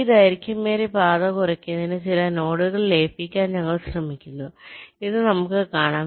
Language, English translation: Malayalam, so, to do this, we try to merge some nodes to reduce this longest path